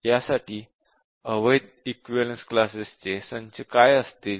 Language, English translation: Marathi, And then what will the set of invalid equivalence classes